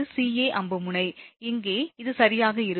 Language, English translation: Tamil, ca arrow tip is here it will be c right